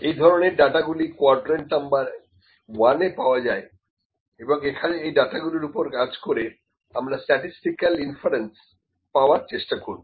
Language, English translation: Bengali, So, this kind of data is obtained that is in quadrant one, mostly and we work on this to bring some statistical inference